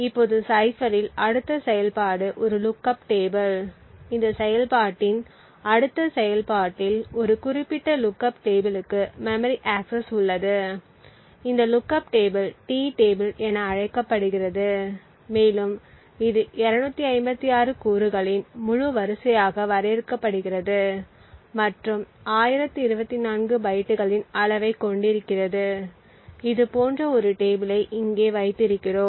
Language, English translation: Tamil, Now the next operation in the cipher is a lookup table, in the next operation in this implementation is memory access to a specific lookup table, this lookup table is known as the T table and essentially is defined as an integer array of 256 elements and would have the size of 1024 bytes, so we have a table over here like this and so on